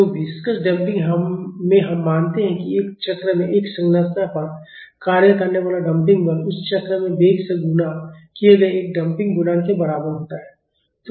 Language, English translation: Hindi, So, in viscous damping we assume that the damping force acting on a structure in one cycle is equal to a damping coefficient multiplied by the velocity in that cycle